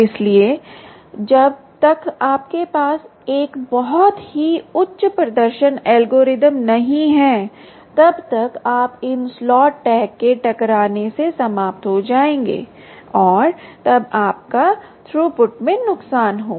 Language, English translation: Hindi, so, ah, unless you have a very high performance ah, ah algorithm, you will end up with these slots, tags colliding ah due to this, and then you will have a loss in throughput